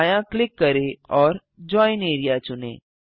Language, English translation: Hindi, Right click and select Join area